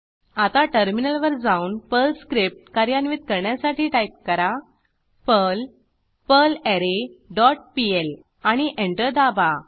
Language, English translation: Marathi, Then switch to the terminal and execute the Perl script by typing perl perlArray dot pl and press Enter